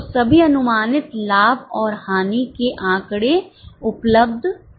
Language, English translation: Hindi, So all the estimated profit and loss figures are available